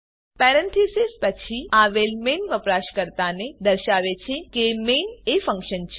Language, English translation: Gujarati, Parenthesis followed by main tells the user that main is a function